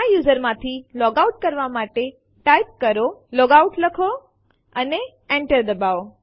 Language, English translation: Gujarati, To logout from this user, type logout and hit Enter